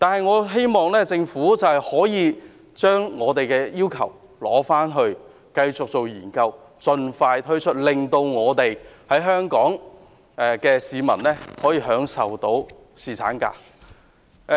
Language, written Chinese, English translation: Cantonese, 我希望政府會繼續研究我們的建議，然後盡快推行，令香港市民可以享有更多侍產假。, The Government should continue to examine our proposals and implement them as soon as possible so that people in Hong Kong can have a longer paternity leave